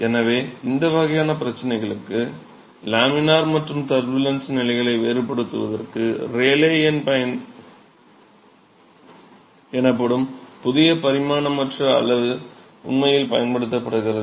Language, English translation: Tamil, So, a new dimensionless quantity called Rayleigh number is actually used for distinguishing the laminar and turbulent conditions for these kinds of problem